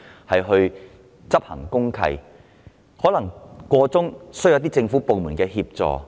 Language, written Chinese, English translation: Cantonese, 在過程中，法團可能需要政府部門協助。, In the process the relevant OC may need assistance from government departments